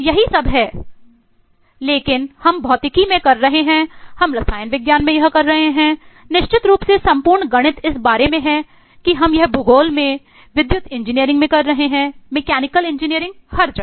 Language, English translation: Hindi, That is all that we but we have been doing this eh in physics we have been doing this is chemistry, certainly whole of mathematics is about that we have been doing this in geography, in electrical engineering, in mechanical engineering everywhere